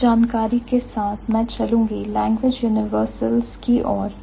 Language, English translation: Hindi, So, with this information I would move to the language universals